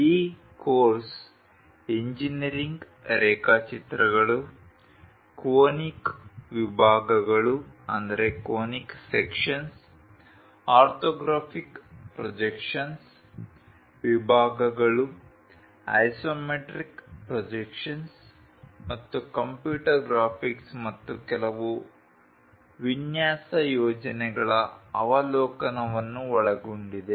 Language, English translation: Kannada, The course contains basically contains engineering drawings, conic sections, orthographic projections, sections isometric projections and overview of computer graphics and few design projects